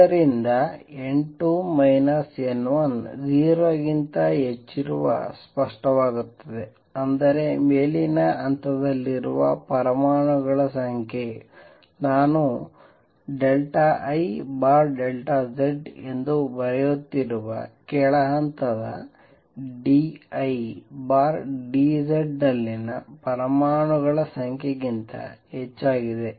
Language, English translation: Kannada, From this it is clear if n 2 minus n 1 is greater than 0; that means the number of atoms in the upper level is more than the number of atoms in the lower level d I by d Z which I am writing as delta I over delta S